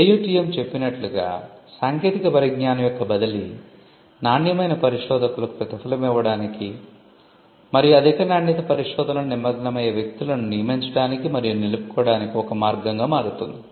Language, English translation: Telugu, Transfer of technology the AUTM tells us can itself become a way to reward quality researchers and to also retain and recruit people who engage in high quality research